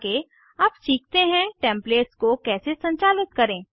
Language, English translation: Hindi, Next, lets learn how to manage Templates